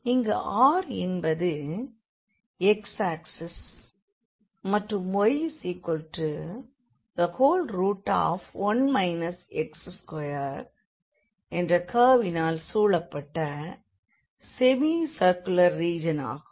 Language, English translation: Tamil, And this R is the semi circular region bounded by the x axis and the curve y is equal to 1 minus x square